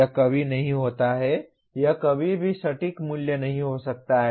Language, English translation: Hindi, It is never, it can never be an exact value